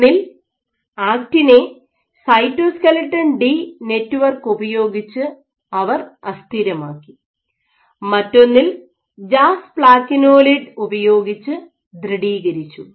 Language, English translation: Malayalam, Either, they destabilized the affect in network which cytoskeleton D or they stabilized with jasplakinolide